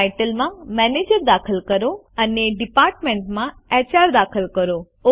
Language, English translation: Gujarati, In the Title enter Manager and in Department enter HR.Click OK